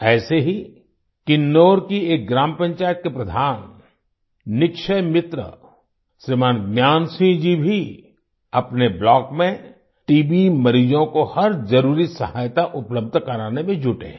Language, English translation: Hindi, Similarly, Shriman Gyan Singh, head of a village panchayat of Kinnaur and a Nikshay Mitra also is engaged in providing every necessary help to TB patients in his block